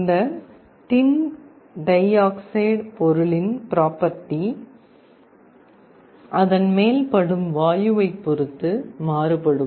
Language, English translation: Tamil, The property of this tin dioxide material varies with the kind of gas that it is being exposed to